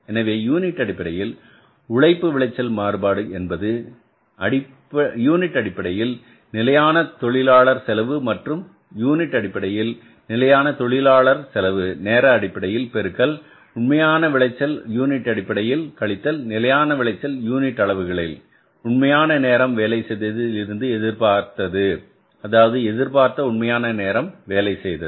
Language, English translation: Tamil, So, this labor yield variance is that is the standard labor cost per unit, standard labor cost per unit of time into actual yield in units minus standard yield in units expected from the actual time worked for, expected from the actual time worked for